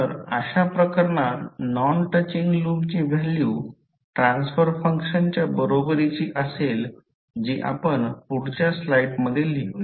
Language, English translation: Marathi, So, in that case the value of non touching loops will be equal to the value of the transfer functions that is let us write in the next slide